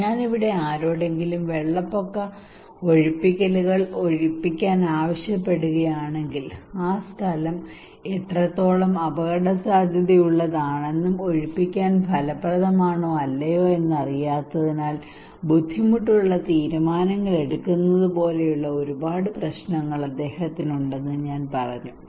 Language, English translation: Malayalam, So here if I am asking someone to evacuate flood evacuations, I told that he has a lot of problems like is that difficult decisions because he does not know how risky the place is and evacuation is effective or not